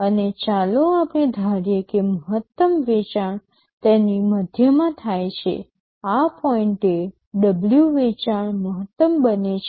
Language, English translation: Gujarati, And let us assume that the maximum sale occurs in the middle of it, at point W the sale becomes maximum